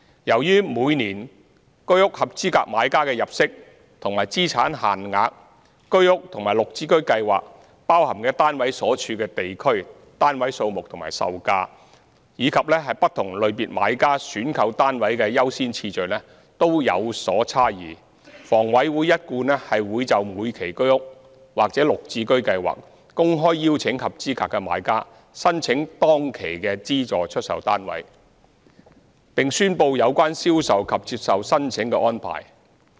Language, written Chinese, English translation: Cantonese, 由於每年居屋合資格買家的入息及資產限額、居屋和綠置居包含的單位所處的地區、單位數目和售價及不同類別買家選購單位的優先次序均有所差異，房委會一貫會就每期居屋或綠置居公開邀請合資格的買家申請當期的資助出售單位，並宣布有關銷售及接受申請的安排。, As the income and asset limits of eligible HOS buyers for each year; the locations the number of flats for sale as well as selling prices of HOS and GSH flats; and the priority of flat selection for various categories of buyers differ each year it has been HAs established practice to openly invite applications from eligible applicants of HOS and GSH and announce details of the sales and application arrangements in each sale exercise